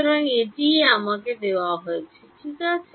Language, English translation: Bengali, So, this is what is given to me ok